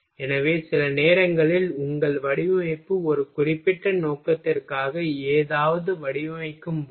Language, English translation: Tamil, So, sometimes when your design something for a specific purpose